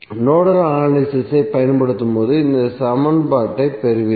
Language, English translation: Tamil, So you will simply get this equation when you apply the Nodal analysis